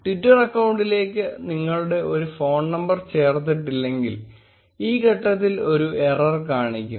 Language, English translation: Malayalam, If you did not add your phone number to the twitter account, this step will throw an error